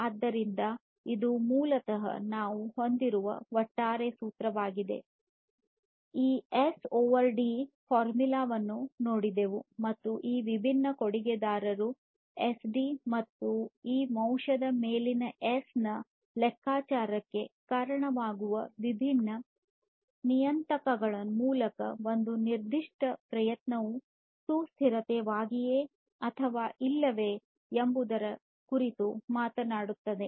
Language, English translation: Kannada, So, this is basically the overall formula that we wanted to arrive at to start with we have looked at this S over SD formula and these are these different contributors to the different parameters that contribute to this computation of S over SD and this factor basically talks about whether a particular effort is sustainable or not